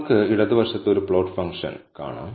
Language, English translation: Malayalam, So, you can see a plot function on the left hand side